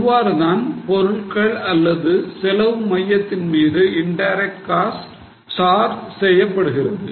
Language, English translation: Tamil, So, this is how indirect costs are charged to products or to cost centers